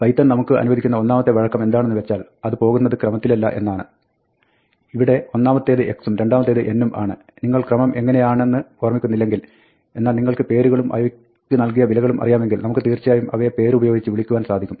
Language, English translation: Malayalam, The first thing that python allows us to do flexibly, is to not go by the order; it is not that, the first is x, and the second is n; we can, if you do not remember the order, but we do know the values, the names assigned to them, we can actually call them by using the name of the argument